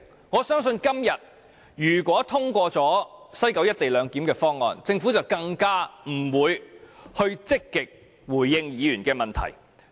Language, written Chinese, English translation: Cantonese, 我相信如果今天通過西九"一地兩檢"的議案，政府更不會積極回應議員的質詢。, I believe if the motion on implementing the co - location arrangement in West Kowloon is passed today it will be even more unlikely for the Government to respond to Members questions pro - actively